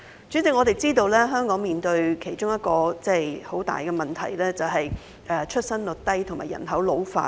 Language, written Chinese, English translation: Cantonese, 主席，我們知道香港面對的其中一大問題，是出生率低和人口老化。, President we know that the major problems faced by Hong Kong are low birth rate and ageing population